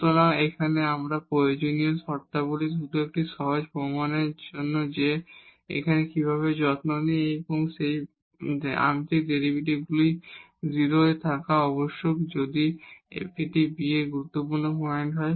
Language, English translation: Bengali, So, here the necessary conditions again to just to have a simple proof that how do we care that these partial derivatives must be 0 at these at the points a b if a b is a critical point